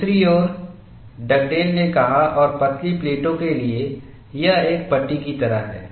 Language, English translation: Hindi, On the other hand, Dugdale came and said, for thin plates it is like a strip